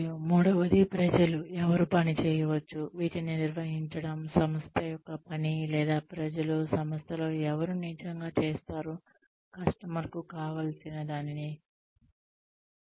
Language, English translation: Telugu, And, the third is the people, who can work towards, managing these, the work of the organization, or the people, who will actually do, what the customer needs the organization to do